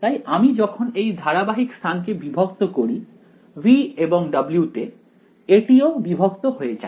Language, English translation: Bengali, So when we discretize this continuous space over here V and W; it gets discretize also